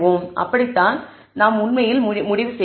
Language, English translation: Tamil, That is how we actually conclude